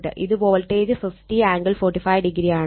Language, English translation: Malayalam, And this is the circuit, this is voltage 50 angle 45 degree